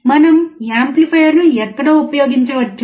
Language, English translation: Telugu, Where can we use the amplifier